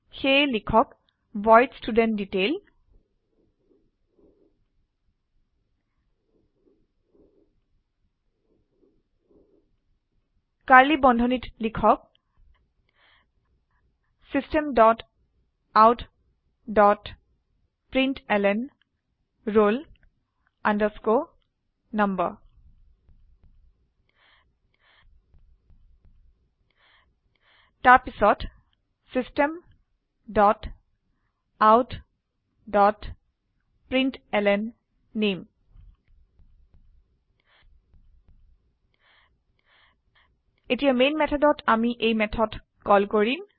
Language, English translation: Assamese, So type void studentDetail() Within curly brackets type System dot out dot println roll number Then System dot out dot println name Now in Main method we will call this method